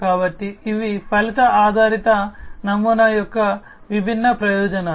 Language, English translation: Telugu, So, these are different advantages of the outcome based model